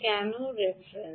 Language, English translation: Bengali, because the reference